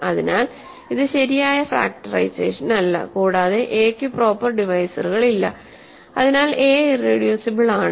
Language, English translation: Malayalam, So, this is not a proper factorization, and a has no proper divisors, hence a has no proper divisors, so a is irreducible